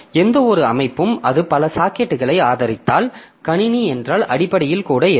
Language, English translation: Tamil, So, so any system that we have, so if it supports a number of sockets, so there is, so basically this is a system